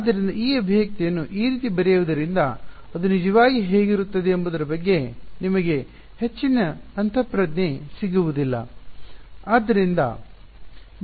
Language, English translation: Kannada, So, writing this expression like this you do not get much intuition of what is it actually look like